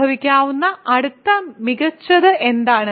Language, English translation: Malayalam, What is the next best that can happen